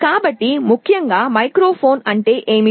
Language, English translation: Telugu, So, essentially what is a microphone